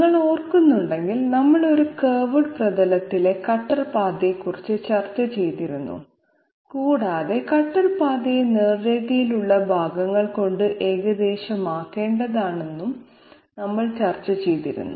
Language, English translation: Malayalam, If you remember, we had discussed about cutter path on a curved surface and we had also discussed that the cutter path has to be approximated by the cutter by straight line segments